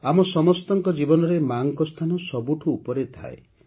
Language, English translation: Odia, In the lives of all of us, the Mother holds the highest stature